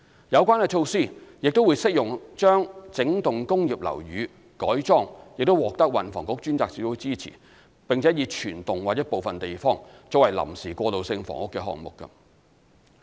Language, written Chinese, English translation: Cantonese, 有關措施亦適用於將整幢工業樓宇改裝、獲運房局專責小組支持，並以全幢或部分地方作為臨時過渡性房屋的項目。, These also apply to projects supported by the task force under the Transport and Housing Bureau for providing transitional housing in portions or entire blocks of wholesale - converted industrial buildings